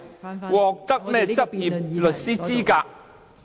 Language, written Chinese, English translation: Cantonese, 變成獲得執業律師資格。, he has obtained the qualification to practise